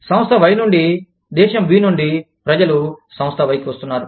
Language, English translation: Telugu, People from Country B, are coming to Firm Y